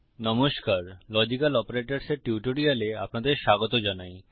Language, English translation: Bengali, Hello and welcome to a tutorial on Logical Operators